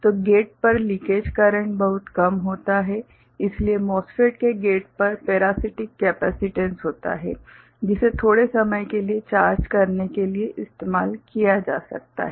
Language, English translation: Hindi, So, the leakage current at the gate is very small so, the parasitic capacitance that would be there at the gate of the MOSFET that can be used to store charge for a short time